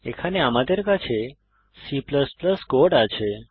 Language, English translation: Bengali, Here is a C++ code